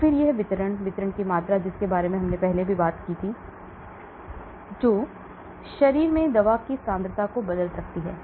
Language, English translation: Hindi, And then this distribution, volume of distribution which we talked about, which can alter the concentration of the drug in the body